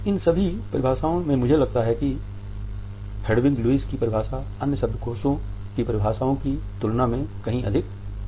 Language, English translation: Hindi, In all these definitions I think that the definition by Hedwig Lewis is by far more complete than the other dictionary definitions